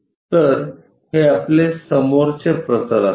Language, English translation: Marathi, So, this will be our front plane